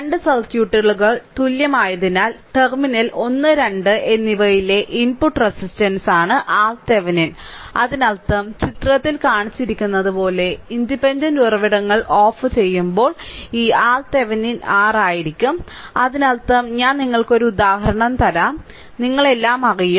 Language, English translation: Malayalam, Since the 2 circuits are equivalent, hence R Thevenin is the input resistance at the terminal 1 and 2 right; that means, when the independent sources are turned off as shown in figure this R Thevenin will be R in that means, idea actually here I am telling when I will give you an example, you will be knowing everything